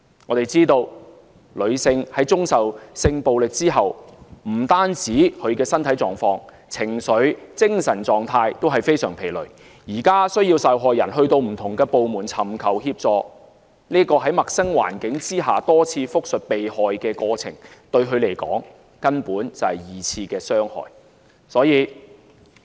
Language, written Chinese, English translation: Cantonese, 我們知道女性在遭受性暴力之後，不但是身體狀況，情緒、精神狀態均非常疲累，現時需要受害人前往不同部門尋求協助，在陌生環境下多次複述受害過程，對她們來說，根本是二次傷害。, We all know that after a woman has been subject to sexual violence she would feel extremely tired physically emotionally and psychologically . For these victims requiring them to hop around different departments and repeat their unfortunate experience over and over again in an unfamiliar environment is virtually a secondary trauma